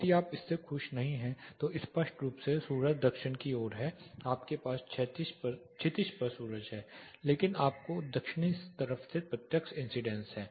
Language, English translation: Hindi, If you resent it out clearly the sun is towards the south you have sun over the horizon, but you have direct incidence from the southern side